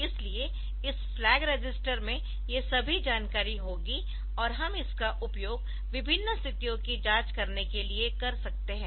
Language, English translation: Hindi, So, this flag register it will have all these information and we can use it for different condition checks